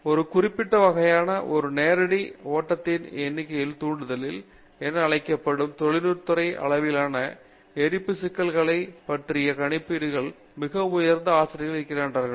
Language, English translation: Tamil, We are faculty doing very high in computations on industry scale combustions problems during what is called direct numerical stimulation of a particular kind of a flow